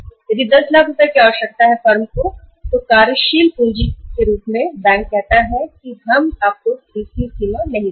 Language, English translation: Hindi, If 10 lakh rupees are required as a working capital by the firm and bank says that we will not give you CC limit